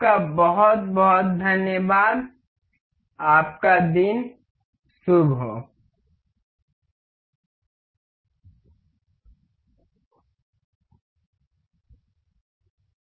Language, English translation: Hindi, Thank you very much and have a good day